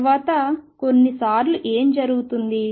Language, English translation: Telugu, What happens sometimes later